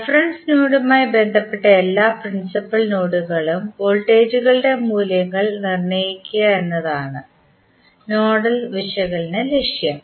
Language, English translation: Malayalam, The nodal analysis objective is to determine the values of voltages at all the principal nodes that is with reference to reference with respect to reference node